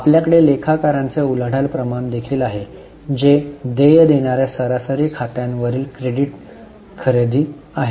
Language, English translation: Marathi, We also have creditors turnover ratio that is credit purchase upon average accounts payable